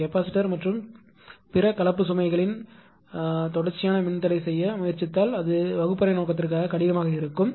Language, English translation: Tamil, If I try to do constant impedance of capacitor and other composite load it will be difficult for the classroom purpose